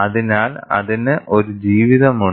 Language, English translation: Malayalam, So, there is a life attached to it